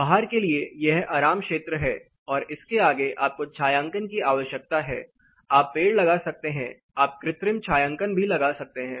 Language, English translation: Hindi, For outdoor say this is the comfort zone beyond this you need shading you can have trees, you can have artificial, you know shades